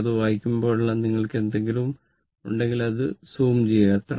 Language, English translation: Malayalam, But, whenever you read it, if you have anything just simply you zoom it